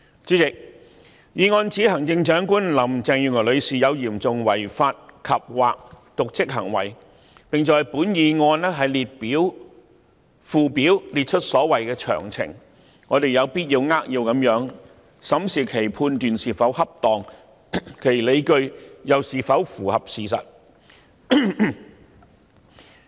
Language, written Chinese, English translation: Cantonese, 主席，議案指行政長官林鄭月娥女士有嚴重違法及/或瀆職行為，並在議案附表列出所謂的詳情，我們有必要扼要地審視其判斷是否恰當，其理據又是否符合事實。, President the motion accuses Chief Executive Mrs Carrie LAM of serious breach of law andor dereliction of duty and lists in a schedule the so - called particulars . It is imperative that we grasp the essence of the matter and examine whether its judgments are appropriate and whether its arguments are compatible with the facts